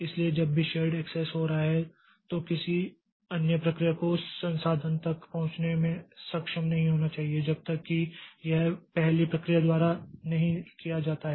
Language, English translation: Hindi, So, whenever some shared access is taking place, some other process should not be able to access that resource until and unless this is done by the first process